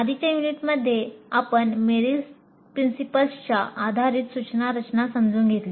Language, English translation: Marathi, In the earlier unit, we understood instruction design based on Merrill's principles